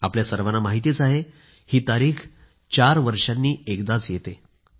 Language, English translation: Marathi, All of you know that this day comes just once in four years